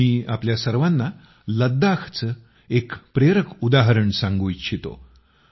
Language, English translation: Marathi, I want to share with all of you an inspiring example of Ladakh